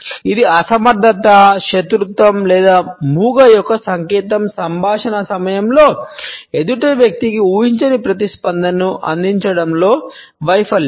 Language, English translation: Telugu, It is also interpreted as a sign of impoliteness, hostility or even dumbness, a failure to provide unexpected response to the other person during a dialogue